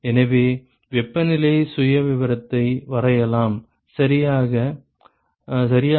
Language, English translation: Tamil, So, let me draw the temperature profile ok